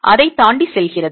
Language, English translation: Tamil, It goes beyond that